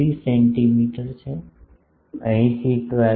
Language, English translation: Gujarati, 753 centimeter, 12